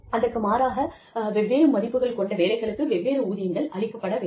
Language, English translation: Tamil, And conversely, jobs that clearly differ in value, should be in different pay grades